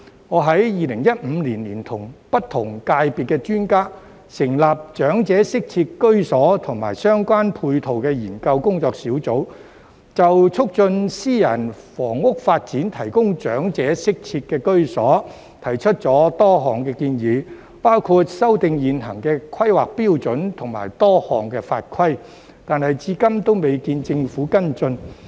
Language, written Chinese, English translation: Cantonese, 我在2015年聯同不同界別的專家，成立長者適切居所及相關配套研究工作小組，就促進私人房屋發展提供長者適切居所，提出了多項建議，包括修訂現行的規劃標準及多項法規，但至今仍未見政府跟進。, In 2015 I joined hands with experts from different sectors to set up a working group to look into elderly - friendly housing and related support facilities . Many proposals were put forward to promote private housing development for the provision of elderly - friendly housing including revising the existing planning standards and a number of regulations but the Government has taken no follow - up action so far